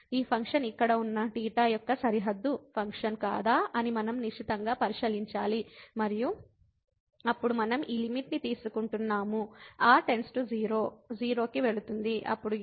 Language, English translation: Telugu, We have to closely look at this function whether if it is a bounded function of theta sitting here and then we are taking this limit goes to 0, then this will be 0